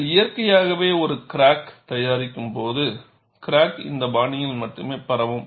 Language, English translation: Tamil, When you physically produce a natural crack, the crack would propagate only in this fashion